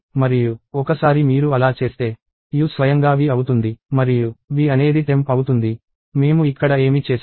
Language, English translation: Telugu, And once you do that, u becomes v itself and v becomes temp; which is what we did here